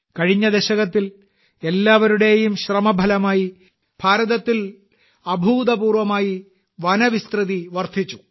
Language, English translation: Malayalam, During the last decade, through collective efforts, there has been an unprecedented expansion of forest area in India